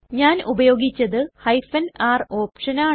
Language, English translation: Malayalam, I have used the r option